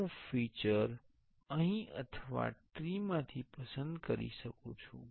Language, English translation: Gujarati, I can select the feature here or from the tree